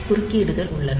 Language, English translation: Tamil, So, there are interrupts